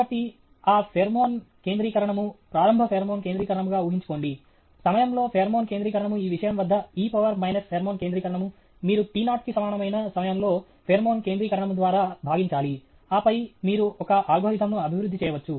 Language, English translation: Telugu, So, that pheromone concentration; assume an initial pheromone concentration; the pheromone concentration in time is e to the power of minus pheromone concentration at this thing, you need to divide by pheromone concentration at time t equal to t naught, and then you can develop an algorithm